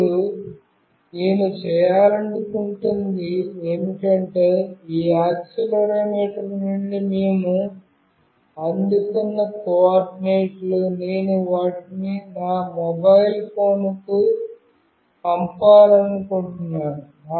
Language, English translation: Telugu, Now, what I want to do is that the coordinates that we received from this accelerometer, I want to send them to my mobile phone